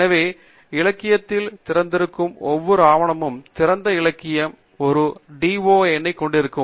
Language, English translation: Tamil, So, every document that is available online in the literature open literature will have a DOI number